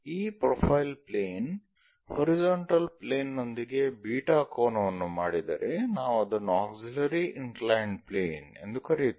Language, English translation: Kannada, If this profile plane makes an angle beta with the horizontal plane, we called auxiliary inclined plane